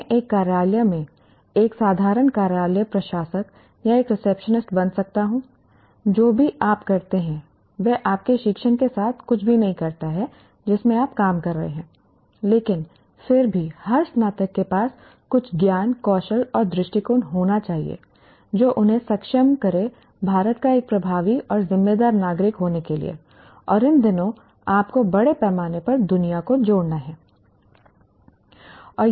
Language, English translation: Hindi, I may become a simple office administrator or a receptionist in an office, whatever that you do, it may or may not have anything to do with your discipline in which you are working, but still every graduate must have certain knowledge, skills and attitudes that enable them to be an effective and responsible citizen of India